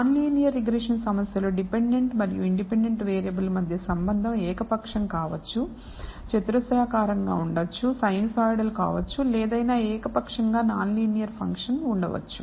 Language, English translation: Telugu, Whereas in a non linear regression problem the functional relationship be tween the dependent and independent variable can be arbitrary, can be quadratic, can be sinusoidal or can be any arbitrary non linear function